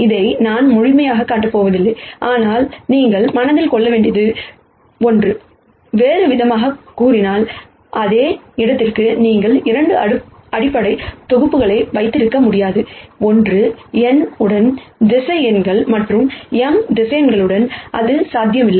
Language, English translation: Tamil, I am not going to formally show this, but this is something that you should keep in mind, in other words for the same space you cannot have 2 basis sets one with n, vectors other one with m vectors that is not possible